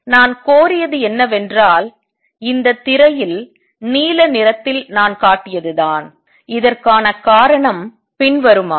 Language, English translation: Tamil, And what I have claimed is what I have shown in blue on this screen and the reason for this is as follows